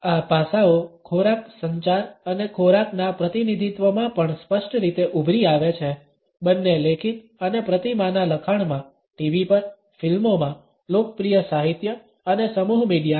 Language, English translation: Gujarati, These aspects also clearly emerge in food communication and representation of food, both in written and iconic text, on TV, in movies, in popular literature and mass media